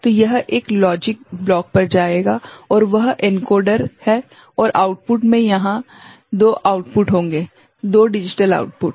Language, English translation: Hindi, So, this will go to a logic block right and that is the encoder and at the output there will be 2 outputs 2 digital outputs